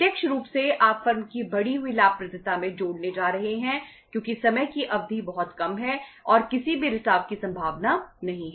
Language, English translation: Hindi, Directly you are going to add up into the increased profitability of the firm because time period is very short and there is no possibility of any leakage